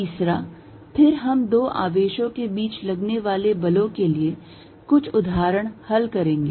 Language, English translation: Hindi, Third, then we are going to solve some examples for forces between two charges